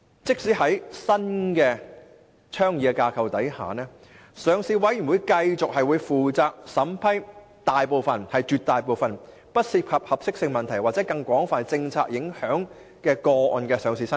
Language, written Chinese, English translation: Cantonese, 在新倡議的架構下，上市委員會將繼續負責審批大部分不涉及合適性問題或更廣泛政策影響的個案的上市申請。, Under the proposed new framework the Listing Committee will continue to be responsible for approving most of the listing applications which do not involve suitability or broader policy implications